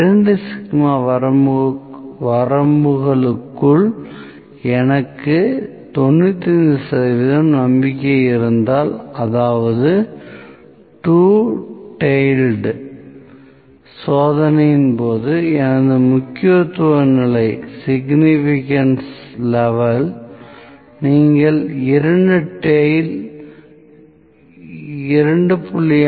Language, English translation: Tamil, If I have 95 percent confident within 2 sigma limits that means, my significance level in case of two tailed test you have you can considering two tail it is 2